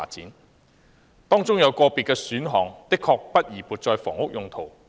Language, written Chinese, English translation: Cantonese, 原議案及修正案當中有個別建議選項確不宜撥作房屋用途。, Individual options proposed in the orginal motion and amendment are unsuitable for the use of housing